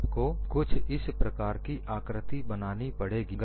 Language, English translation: Hindi, You have a shape something like this